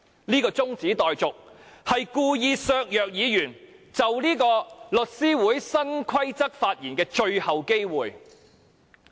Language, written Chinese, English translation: Cantonese, 這項中止待續議案故意削弱議員就律師會新規則發言的最後機會。, This adjournment motion purposely deprives Members of the last chance to speak on Law Societys new rules